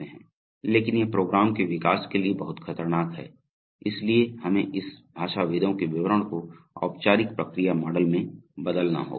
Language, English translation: Hindi, But this is very dangerous to use for program development, so we have to convert this linguists description into formal process models